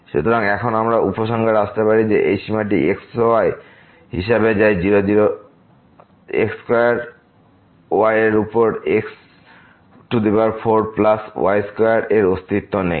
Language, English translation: Bengali, So, now, we can conclude that this limit as goes to square over 4 plus square does not exist